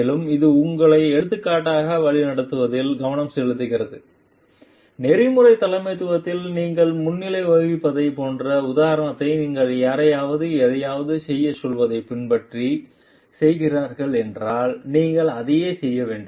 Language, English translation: Tamil, And it more so it focuses on you leading by example, if an ethical leadership the main focus is like you are leading by example if you are telling someone to follow telling someone to do something then you must also be doing the same thing